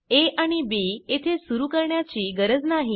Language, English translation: Marathi, No need to initialize a and b here